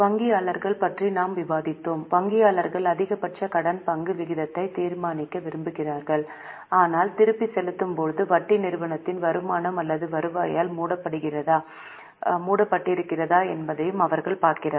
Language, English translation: Tamil, So, bankers want to decide on maximum debt equity ratio, but they also look at whether the interest which is going to be repaid is covered by the income or earnings of the company